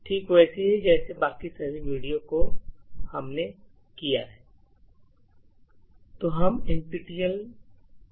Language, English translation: Hindi, Just like all the other videos that we have done